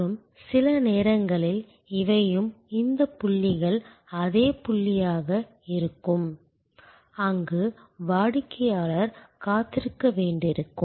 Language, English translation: Tamil, And sometimes these are also this points are the same as the point, where the customer may have to wait